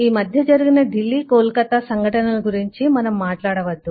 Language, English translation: Telugu, lets not talk about incidents in delhi and kolkatta that we have seen in last couple of hours